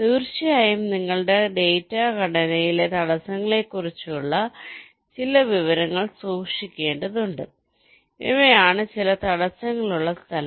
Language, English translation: Malayalam, of course you have to keep some information about the obstacles in your data structure, that these are the places where some obstacles are there